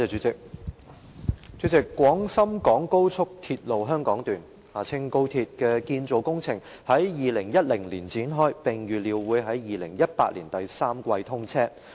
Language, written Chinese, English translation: Cantonese, 主席，廣深港高速鐵路香港段的建造工程於2010年展開，並預料會於2018年第三季通車。, President the Hong Kong section of the Guangzhou - Shenzhen - Hong Kong Express Rail Link XRL the construction of which commenced in 2010 is expected to be commissioned in the third quarter of 2018